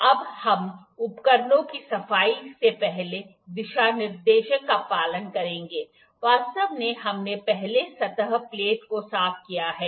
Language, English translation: Hindi, Now, we will follow the first guideline cleaning of the instruments actually, we have cleaned the surface plate before